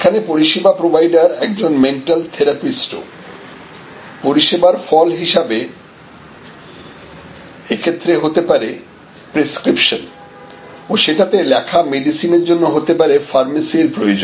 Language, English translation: Bengali, So, there is a service provider is a mental therapist and as a result of, which there can be prescription and drugs leading to pharmacy